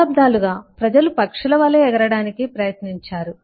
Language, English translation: Telugu, for centuries, people has tried to fly as birds, with disastrous effects